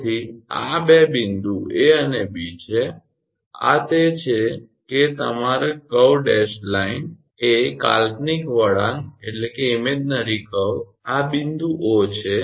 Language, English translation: Gujarati, So, this is the two point A and B and this is that your curve dashed line is that imaginary curve this is the point O